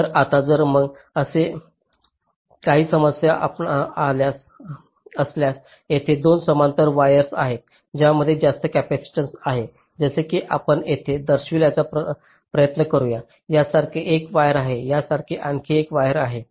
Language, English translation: Marathi, ok, so now if i, if there is any issue like this, there are two parallel wires which has high capacitance, like say, lets try to show here there is a wire like this, there is another wire like this